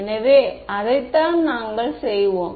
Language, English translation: Tamil, So, that is what we will do